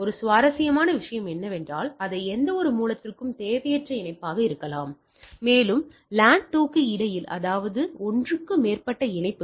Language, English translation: Tamil, Also the one interesting thing is that as they are may be redundant connection any source, and between 2 LAN; that means, more than one connection